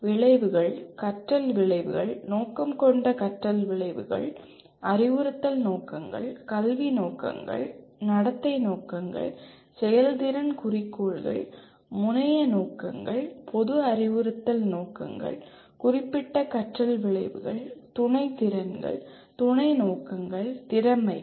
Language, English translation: Tamil, Outcomes, learning outcomes, intended learning outcomes, instructional objectives, educational objectives, behavioral objectives, performance objectives, terminal objectives, general instructional objectives, specific learning outcomes, subordinate skills, subordinate objectives, competencies